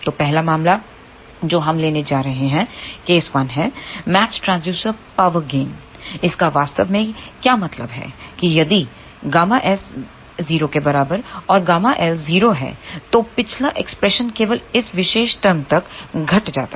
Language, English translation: Hindi, So, the first case which we are going to take is a case one; matched transducer power gain, what this really means that if gamma s is equal to 0 and gamma L is equal to 0, then the previous expression reduces to this particular term only over here